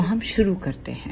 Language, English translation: Hindi, So, let us begin